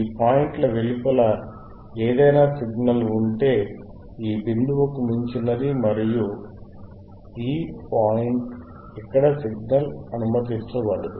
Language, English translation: Telugu, aAny signal outside these points means withbeyond this point, and this point, no signal here can be allowed